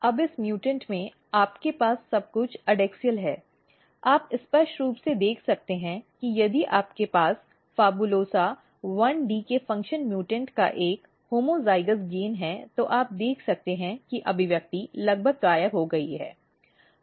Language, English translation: Hindi, Now, in this mutants you have a everything adaxial, then you this you can clearly see that if you have a homozygous gain of function mutants of PHABULOSA 1d you can see the expression is almost disappeared